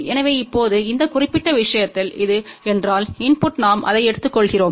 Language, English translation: Tamil, So, in this particular case now, the if this is the input we take it